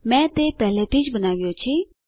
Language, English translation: Gujarati, I have already created it